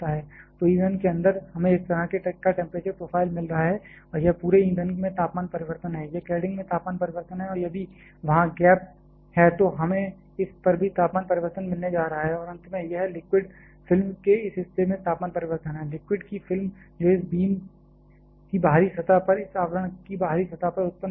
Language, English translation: Hindi, So, inside the fuel we are getting this kind of temperature profile and this is the temperature change across the fuel, this is the temperature change across the cladding and if the gap is there we are going to have temperature change across this as well and finally, this is the temperature change across the liquid film this portion, the film of liquid which may get generated on the outer surface of this beam outer surface of this cladding